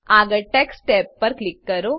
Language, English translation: Gujarati, Next click on Text tab